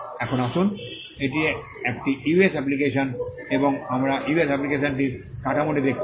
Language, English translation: Bengali, Now, let us look at this is a US application and you saw the structure of the US application